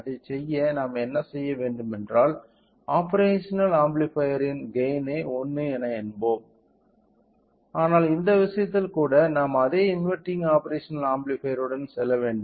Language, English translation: Tamil, So, in order to do that what we do is that we will take another operational amplifier with a gain of 1, but in even in this case we have to go with same inverting operational amplifier